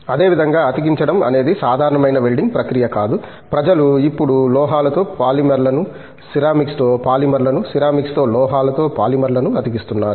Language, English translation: Telugu, Similarly, Joining is no more a simple welding process; people are now joining polymers with metals okay, polymers with ceramics, metals with ceramics